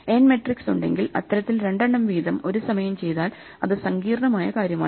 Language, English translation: Malayalam, Now same way with n matrices, we have to do two at a time, but those two at a time could be a complicated thing